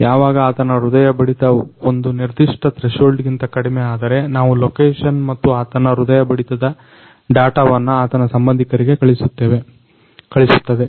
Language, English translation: Kannada, So, whenever his heart pulse beat come below to a certain threshold, then we will send its location and his heartbeat data to its; his relatives